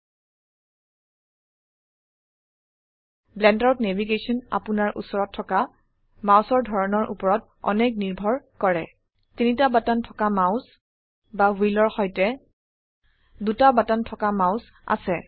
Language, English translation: Assamese, Navigation in the Blender depends a lot on the type of mouse you have – a 3 button mouse or a 2 button mouse with a wheel